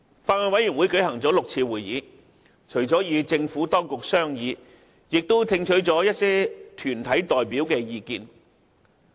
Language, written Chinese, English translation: Cantonese, 法案委員會共舉行了6次會議，除了與政府當局商議外，亦聽取了一些團體代表的意見。, The Bills Committee has held six meetings in total to meet with the Administration and received views from some deputations